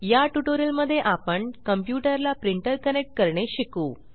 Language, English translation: Marathi, In this tutorial, we will learn to connect a printer to a computer